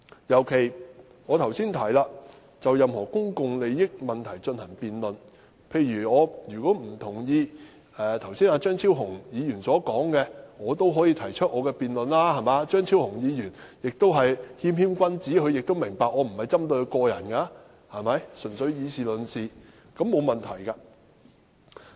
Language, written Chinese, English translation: Cantonese, 尤其是我剛才提到，我們可就任何公共利益問題進行辯論，例如我不同意張超雄議員剛才的發言，我可以提出我的論點，張超雄議員是謙謙君子，明白我不是針對他個人，純粹以事論事，這並無問題。, In particular as I mentioned a moment ago we can debate any issue concerning public interests . For instance I disagree with the remarks made by Dr Fernando CHEUNG just now then I can raise my points . Dr Fernando CHEUNG is a gentleman